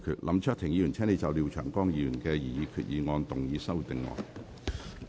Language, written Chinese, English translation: Cantonese, 林卓廷議員，請就廖長江議員的擬議決議案動議修訂議案。, Mr LAM Cheuk - ting you may move your amending motion to Mr Martin LIAOs proposed resolution